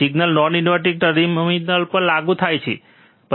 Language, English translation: Gujarati, Signal is applied to the non inverting terminal